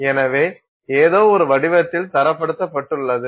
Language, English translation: Tamil, So, this is standardized in some form